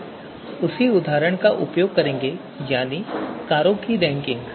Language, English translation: Hindi, So the example remains same so we have the same goal ranking of cars